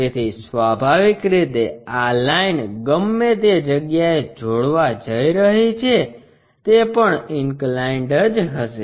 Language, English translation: Gujarati, So, naturally this line whatever it is going to join that will also be inclined